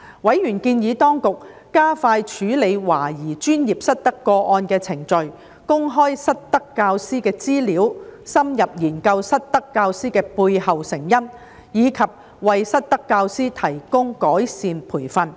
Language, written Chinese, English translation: Cantonese, 委員建議當局加快處理懷疑專業失德個案的程序、公開失德教師的資料、深入研究失德教師的背後成因，以及為失德教師提供改善培訓。, Members suggested the Administration speed up the process of handling suspected professional misconducted teachers make public the information of misconducted teachers conduct in - depth study for the underlying causes of misconducted teachers and provide improvement training to misconducted teachers